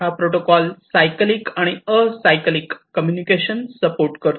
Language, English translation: Marathi, So, it supports both cyclic communication and acyclic communication